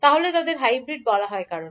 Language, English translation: Bengali, So why they are called is hybrid